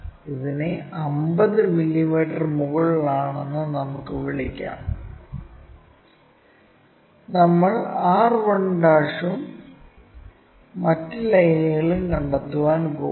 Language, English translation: Malayalam, Let us call this is at 50 mm above on this, we are going to locate r 1' and other lines